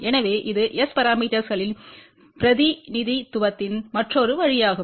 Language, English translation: Tamil, So, it is just the another way of representation of S parameters